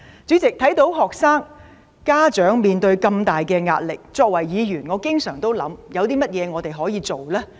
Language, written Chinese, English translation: Cantonese, 主席，看到學生和家長面對這麼大壓力，作為議員，我經常思考我們可以做些甚麼？, President as a Member who has noticed the great pressure encountered by students and parents I often ponder what we can do about it